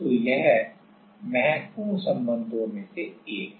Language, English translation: Hindi, So, this is one of the important relation